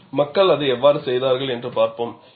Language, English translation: Tamil, We will see how people have done it